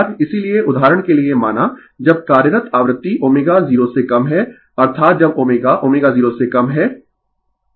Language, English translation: Hindi, Therefore, for example suppose, when you are act frequency is below omega 0 that is when omega less than omega 0 right